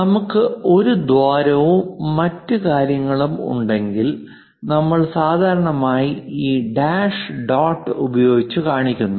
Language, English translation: Malayalam, So, whenever there are holes, circles and so on, we usually represent by these dash dot lines